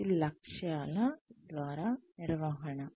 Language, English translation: Telugu, That is management by objectives